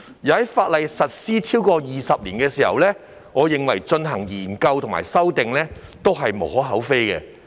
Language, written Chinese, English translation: Cantonese, 而在《條例》實施超過20年後對其進行研究及修訂，我認為也是無可厚非的。, As the Ordinance has been in force for over 20 years I find it unobjectionable to examine and amend it